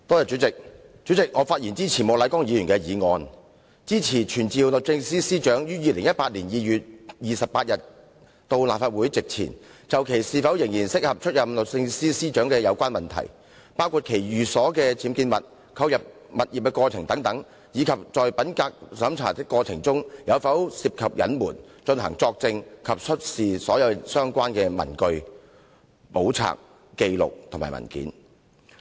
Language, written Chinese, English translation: Cantonese, 主席，我發言支持莫乃光議員的議案，傳召律政司司長於2018年2月28日到立法會席前，就其是否仍然適合出任律政司司長的有關問題，包括其寓所的僭建物、購入有關物業的過程等，以及在品格審查的過程中有否涉及隱瞞，作證及出示所有相關的文據、簿冊、紀錄或文件。, President I am speaking in support of Mr Charles Peter MOKs motion to summon the Secretary for Justice to attend before the Council on 28 February 2018 to testify and to produce all relevant papers books records or documents regarding issues in relation to whether she is still fit for the position of Secretary for Justice including the unauthorized building structures in her residence and the process of purchasing the property concerned and whether she was involved in any concealment of facts in the process of integrity check